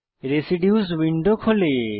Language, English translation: Bengali, Residues window opens